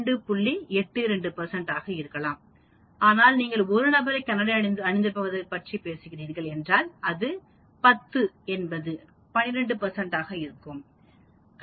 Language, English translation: Tamil, 82 percent but if you are talking about 1 person wearing glasses out of this 10 is 12 percent